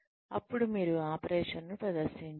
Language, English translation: Telugu, Then, you present the operation